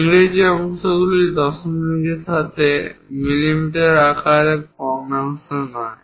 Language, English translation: Bengali, English parts are dimensioned in mm with decimals, not fractions